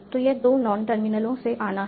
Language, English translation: Hindi, So, this has to come from two non terminals